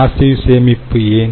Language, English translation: Tamil, and why passive storage